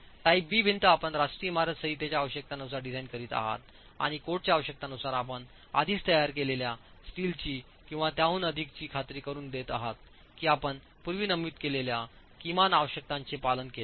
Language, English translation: Marathi, The other two categories, type B wall and type C wall, in type B wall you are designing as per the requirements of the national building code and ensuring that over and above the steel that you are already designing as per the requirements of the code, you have complied with the minimum requirements that are stated earlier